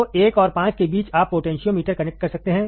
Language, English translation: Hindi, So, between 1 and 5 you can connect the potentiometer, right